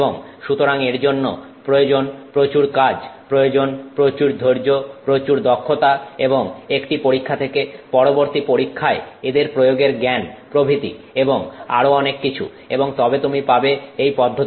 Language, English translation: Bengali, And so that requires a lot of work, it requires a lot of patience, a lot of skill, application of you know learning from one experiment to the next experiment etc and so on and so then you get this process